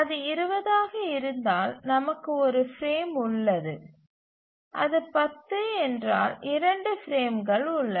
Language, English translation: Tamil, So if it is 20 we have just one frame and if it is 10 we have just 2 frames